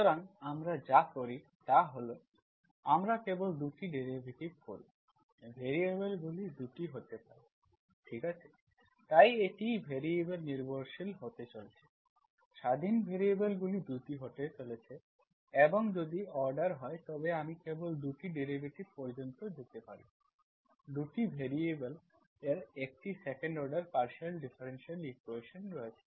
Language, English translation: Bengali, So what we do is, we do only 2 derivatives, variables can be 2, okay, so it is going to be variables dependent, independent variables are going to be 2 and if the order, I can go to only 2 derivatives, there is second order partial differential equation in 2 variables